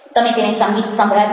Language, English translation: Gujarati, did you make them listen to music